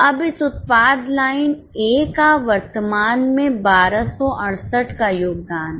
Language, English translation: Hindi, Now, this product line A currently has a contribution of 1 268